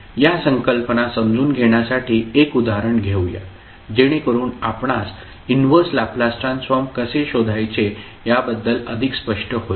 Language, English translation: Marathi, So, to understand these concepts, let us understand with the help one example, so that you are more clear about how to proceed with finding out the inverse Laplace transform